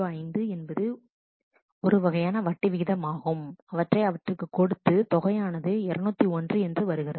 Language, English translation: Tamil, 005 or that kind of interest is given then it becomes 201